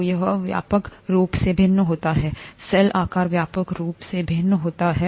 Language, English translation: Hindi, So it widely varies, the cell size widely varies